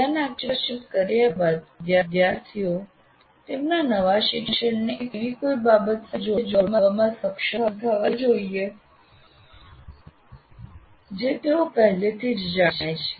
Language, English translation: Gujarati, And the next thing is after getting the attention, the students need to be able to link their new learning to something they already know